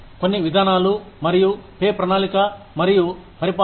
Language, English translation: Telugu, Some policies and pay planning and administration